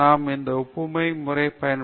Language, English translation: Tamil, We use that analogy method